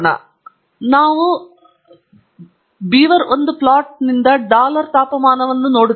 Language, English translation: Kannada, So, we say plot beaver1 dollar temperature